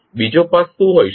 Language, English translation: Gujarati, What can be the other path